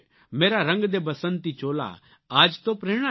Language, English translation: Gujarati, 'Mera Rang de Basanti Chola' is a perfect example of that